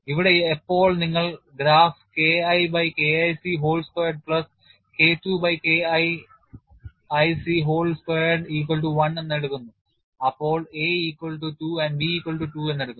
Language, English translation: Malayalam, Here when you take the graph as K1 by K1 c whole squared plus K2 by K2 c whole squared equal to 1, you have taken a equal to 2 and b equal to 2